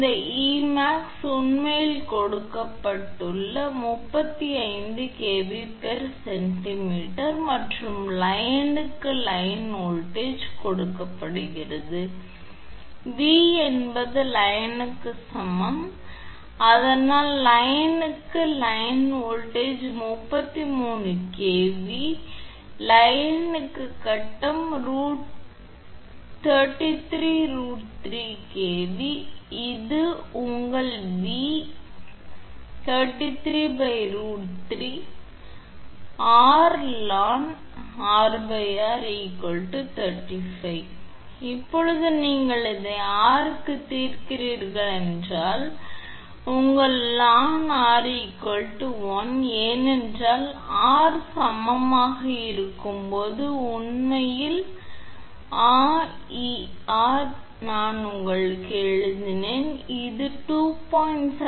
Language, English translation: Tamil, And this E max actually given 35kV per centimeter and line to line voltage is given V is equal to line to neutral that is why it is line to line voltage is 33kV, so line to phase is 33 by root 3 kV, so this is your V right, therefore, 33 upon root 3 then r into ln R upon r is equal to 35